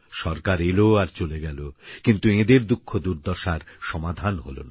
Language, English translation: Bengali, Governments came and went, but there was no cure for their pain